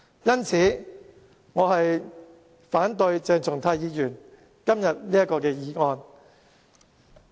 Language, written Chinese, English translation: Cantonese, 因此，我反對鄭松泰議員今天這項議案。, For that reason I oppose to the motion moved by Dr CHENG Chung - tai today